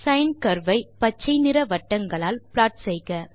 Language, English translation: Tamil, Plot the sine curve with green filled circles